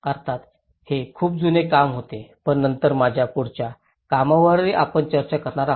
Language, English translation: Marathi, Of course, this was a very old work but later on, we will be discussing on my further work as well